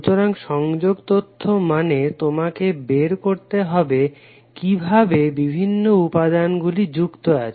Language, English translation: Bengali, So connectivity information means you need to find out how the various elements are connected